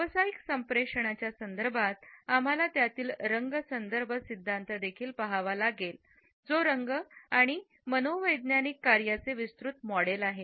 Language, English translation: Marathi, In the context of professional communication, we also have to look at the color in context theory which is a broad model of color and psychological functioning